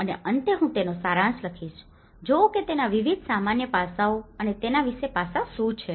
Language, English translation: Gujarati, And finally, I will summarize it, see what are the various generic aspects of it and the specific aspects to it